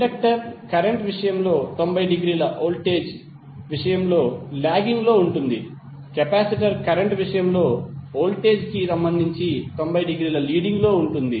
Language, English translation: Telugu, In case of inductor current will be lagging with respect to voltage by 90 degree, while in case of capacitor current would be leading by 90 degree with respect to voltage